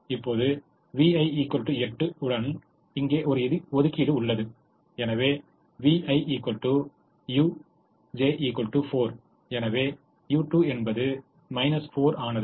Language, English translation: Tamil, so v one plus u two is equal to four, so u two will become minus four